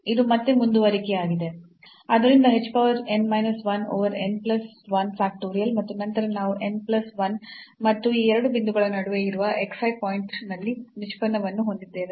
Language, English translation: Kannada, So, it is a continuation again so h power n plus 1 over n plus 1 factorial and then we have the n plus 1 and derivative at some point xi which lies between these two points